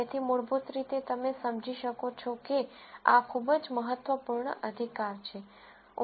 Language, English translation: Gujarati, So, basically you might understand that, that this is very important right